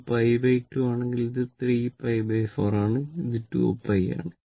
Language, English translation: Malayalam, So, it is 0 it is pi it is 2 pi